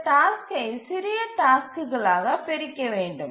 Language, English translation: Tamil, So, that same task we need to split into two